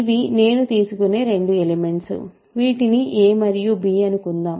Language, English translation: Telugu, So, these are the two elements I will take, so a is this, b is this